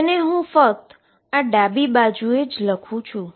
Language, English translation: Gujarati, So, let me write this left hand side again